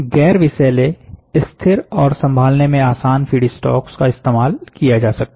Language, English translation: Hindi, The non toxic and stable and easy to handle feed stocks can be used